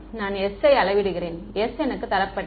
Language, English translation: Tamil, I measure s, s is given to me ok